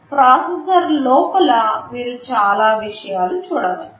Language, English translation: Telugu, Inside the processor you can see so many things